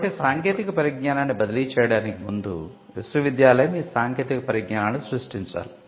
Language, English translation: Telugu, So, before the technology can be transferred, a prerequisite is that the university should create these technologies, so that is the prerequisite